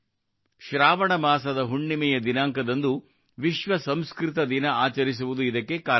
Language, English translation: Kannada, The reason for this is that the Poornima of the month of Sawan, World Sanskrit Day is celebrated